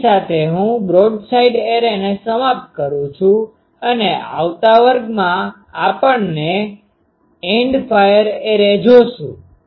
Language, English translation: Gujarati, With these I conclude the broadside array and in the next class we will find end fire array